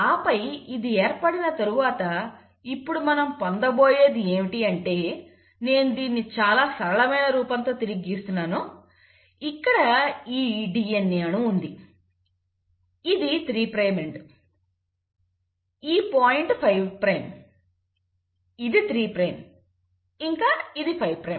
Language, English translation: Telugu, And then once this has been formed, what we'll now have is let us say, this is how I am just redrawing this with much simpler form, so you have this DNA molecule, and then you had this one as the 3 prime end, this point give you the 5 prime and then this was a 3 prime and then this was the 5 prime